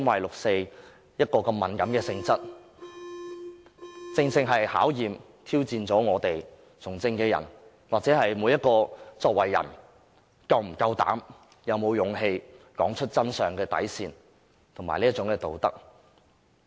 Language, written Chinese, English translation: Cantonese, 六四如此敏感的性質，正可考驗和挑戰從政者或每一個人的底線及道德，看看他們是否有膽量和勇氣說出真相。, Due to its sensitive nature the 4 June incident can precisely serve as a test or challenge of the bottom line and ethical values held by a politician or an individual and enable us to see whether he is brave or courageous enough to speak the truth